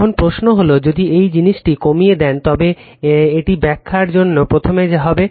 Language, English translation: Bengali, Now, question is that just if, you reduce the this thing it will be first for your explanation